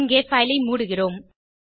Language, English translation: Tamil, Here we close the file